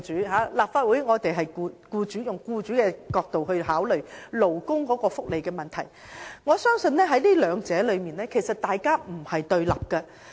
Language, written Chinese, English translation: Cantonese, 在立法會，我們以僱主的角度考慮勞工福利問題，但我相信兩者其實並非對立的。, In the Legislative Council we consider labour welfare issues from the perspective of employers . But I believe they are not in conflict with each other